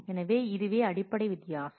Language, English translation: Tamil, So, this is the basic difference